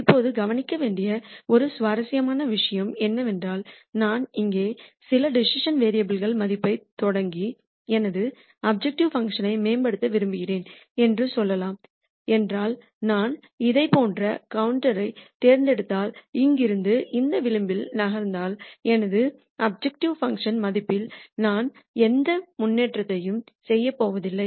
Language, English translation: Tamil, Now, an interesting thing to notice is if I start with some decision variable values here and let us say I want to improve my objective function, I know that if I pick a contour like this and then from here if I keep moving on this contour I am not going to make any improvement to my objective function value